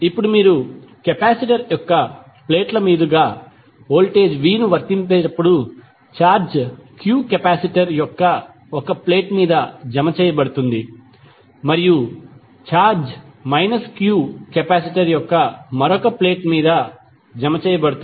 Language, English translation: Telugu, Now, when u apply voltage v across the plates of the capacitor a charge q is deposited on 1 plate of the capacitor and charge minus q is deposited on the other plate of the capacitor